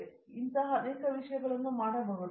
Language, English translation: Kannada, So, like this many things can be done